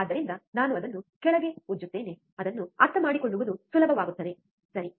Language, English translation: Kannada, So, let me just rub it down so, it becomes easy to understand, right